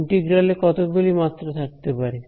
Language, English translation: Bengali, How many in the integral is in how many dimensions